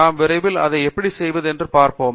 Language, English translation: Tamil, We will see how we can do that shortly